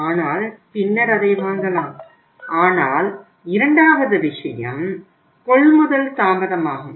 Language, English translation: Tamil, We are not going to buy it but he may buy it later on but the second thing is delay purchases